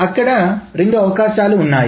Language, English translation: Telugu, So there are two ways